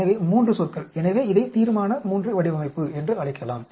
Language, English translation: Tamil, So, 3 terms, so we can call this as Resolution III design